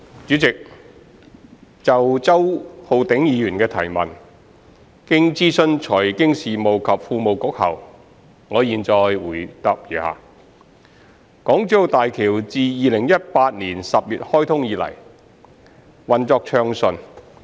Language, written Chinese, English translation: Cantonese, 主席，就周浩鼎議員的質詢，經諮詢財經事務及庫務局後，我現答覆如下：港珠澳大橋自2018年10月開通以來，運作暢順。, President in consultation with the Financial Services and the Treasury Bureau my reply to the question raised by Mr Holden CHOW is as follows The Hong Kong - Zhuhai - Macao Bridge HZMB has been operating smoothly since its commissioning in October 2018